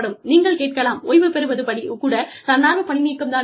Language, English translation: Tamil, You will say, retirement is not a voluntary separation